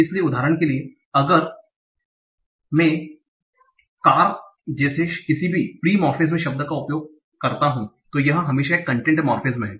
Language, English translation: Hindi, So for example, even if I take any free morphem like car, a word, it is always a content morphine